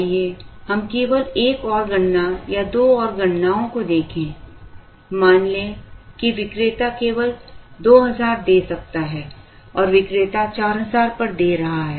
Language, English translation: Hindi, Let us just look at one more calculation or two more calculations, let us say the vendor can give only 2000 and the vendor is giving at 4000